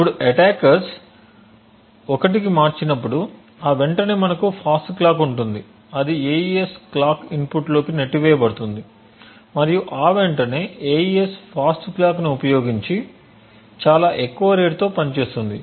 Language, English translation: Telugu, Now when the attackers switches to 1 so momentarily we would have a fast clock that is pushed into the AES clock input and momentarily the AES is functioning at a very high rate using the fast clock